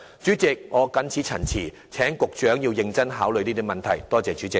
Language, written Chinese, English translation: Cantonese, 主席，我謹此陳辭，請局長認真考慮這些問題，多謝主席。, President I so submit . Will the Secretary please give serious consideration to all such issues . Thank you President